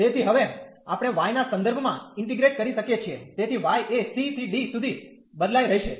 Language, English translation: Gujarati, So, now we can integrate with respect to y, so y will vary from c to d